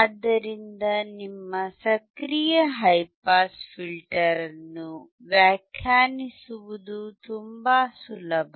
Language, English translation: Kannada, So, it is very easy to define your active high pass filter